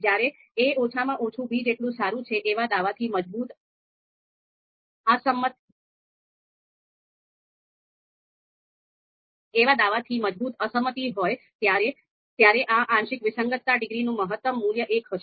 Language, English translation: Gujarati, And if there is no reason to refute the assertion that a is at least as good as b, then this partial discordance degree is going to attain its minimum value that is zero